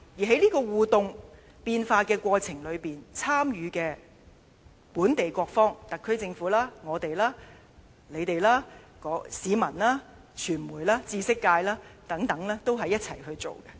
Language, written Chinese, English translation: Cantonese, 在這個互動變化的過程當中，參與的本地各方，特區政府、我們、你們、市民、傳媒、知識界等，都是一起去進行。, In the course of this interactive evolution all local stakeholders will participate together namely the SAR Government the pro - establishment camp the opposition camp the people the media and the academia